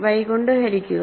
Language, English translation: Malayalam, Divide by y